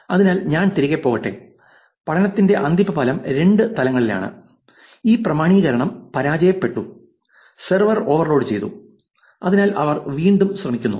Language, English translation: Malayalam, So, let me go back, final outcome of the study is at two levels, where this authentication failed, server overloaded, so they try again